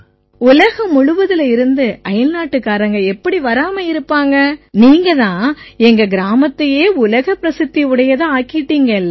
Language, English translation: Tamil, Foreigners from all over the world can come but you have made our village famous in the world